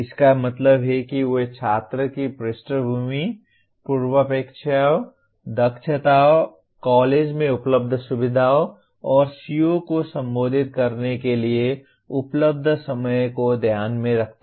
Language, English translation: Hindi, That means do they take into account the student’s background, prerequisite, competencies, the facilities available in the college and time available to address the CO